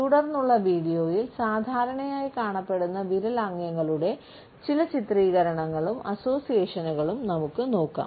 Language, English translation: Malayalam, In the ensuing video we look further at certain illustrations and associations of commonly found finger gestures